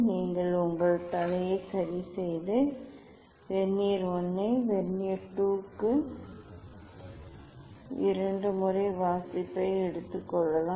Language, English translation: Tamil, you can adjust your head and take the reading twice for Vernier I Vernier II you take the reading and as you know how to calculate